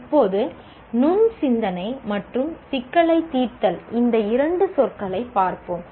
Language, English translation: Tamil, Now, let us look at these two words, namely critical thinking and what you call problem solving